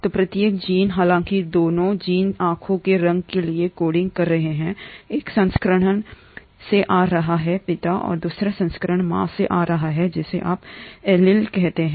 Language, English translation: Hindi, So each gene, though both of the genes are coding for the eye colour; one version is coming from the father and the other version is coming from the mother which is what you call as an allele